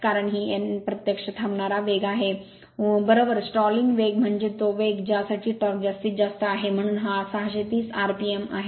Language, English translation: Marathi, Because this n is a actually stalling speed right stalling speed means it is the speed for which your torque is maximum right, so this is 630 rpm